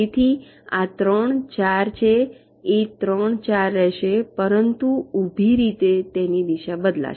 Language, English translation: Gujarati, so this three, four will remain three, four, but vertically its orientation will get changed